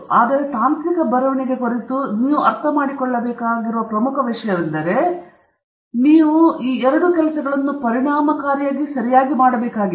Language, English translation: Kannada, But may be the most important thing that you have to understand of technical writing is that you have to do these two things or you have to do all of these efficiently okay